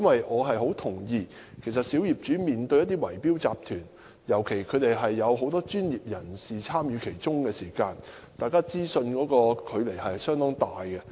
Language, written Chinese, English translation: Cantonese, 我十分認同小業主面對圍標集團，尤其是有很多專業人士參與的圍標集團時，雙方掌握資訊的差距相當大。, I fully agree that there is a rather large gap in terms of access to information between owners and bid - rigging syndicates in particular those with professional participation